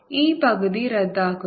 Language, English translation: Malayalam, this half cancels